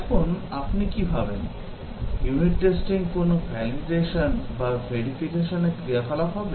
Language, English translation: Bengali, Now, what do you think, would unit testing be a validation activity or a verification activity